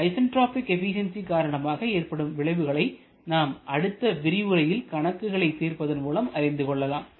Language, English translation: Tamil, So the effect of isentropic efficiency shall be concerned in the next lecture while solving a numerical problem